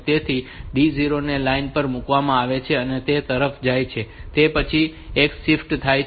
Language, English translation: Gujarati, So, this D 0 is put onto the line and that is going to the after that there is a shift